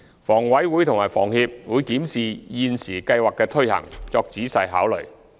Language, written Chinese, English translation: Cantonese, 房委會會檢視房協現時計劃的推行，作仔細考慮。, HA will examine the current operation of the scheme implemented by HKHS and make careful consideration